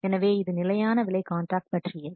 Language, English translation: Tamil, So, this is something about the fixed price contracts